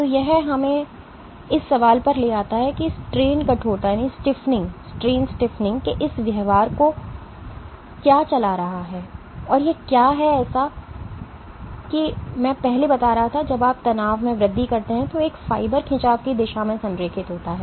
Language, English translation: Hindi, So, this brings us to the question that what is driving this behavior of strain stiffening and what it turns out is as I was drawing before when you have increase in strain then individual fibers tend to align along the direction of strain